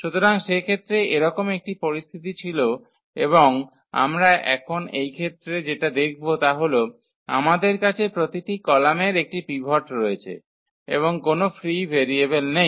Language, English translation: Bengali, So, in that case this was a situation and what we observe now for this case that we have the every column has a pivot and there is no free variable